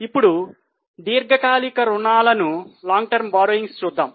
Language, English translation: Telugu, Now look at the long term borrowings